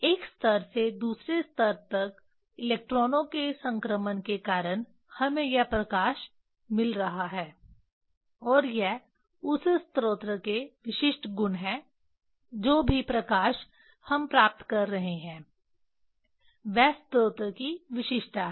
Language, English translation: Hindi, Due to the transition of electrons from one level to another level we are getting this light and this is the characteristics of that source whatever the light we are getting that is the characteristics of the source